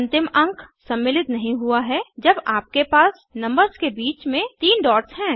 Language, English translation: Hindi, The last digit does not get included when you have 3 dots between numbers